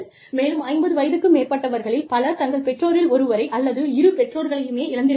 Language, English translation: Tamil, And then, after 50, most of us, you know, have lost one or both parents